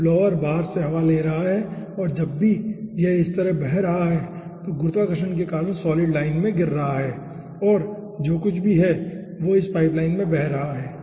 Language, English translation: Hindi, so blower is taking air from outside and whenever it is flowing like this, due to gravity, the solid is falling in the line and that is carrying for whatever in this pipeline